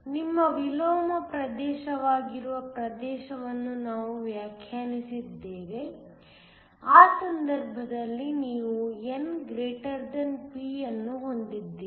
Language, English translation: Kannada, We defined a region which is your inversion region in which case you have n > p